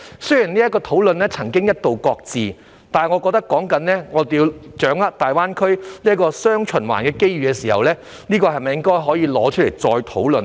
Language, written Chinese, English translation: Cantonese, 雖然這個討論曾經一度擱置，但我認為說到要掌握"大灣區雙循環"的機遇時，是否可以重新提出這項議題再作討論呢？, Although this discussion was once shelved I think when we talk about grasping the opportunities of dual circulation in GBA can we bring up this issue again for discussion?